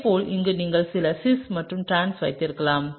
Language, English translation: Tamil, Similarly here, you could have cis and trans, right